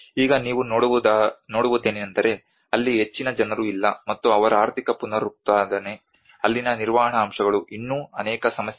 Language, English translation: Kannada, Now what you can see is not many people out there and their economic regeneration, the maintenance aspects there are many other issues came later on